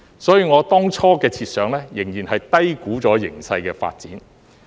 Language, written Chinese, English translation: Cantonese, 所以，我當初的設想仍然低估形勢的發展。, So my initial assumptions still underestimated the development of the situation